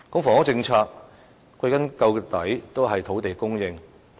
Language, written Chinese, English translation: Cantonese, 房屋政策歸根究底是土地供應的問題。, The crux of the housing policy is land supply